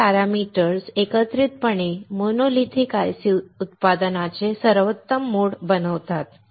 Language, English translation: Marathi, So, these parameters together make monolithic ICs are the best mode of manufacturing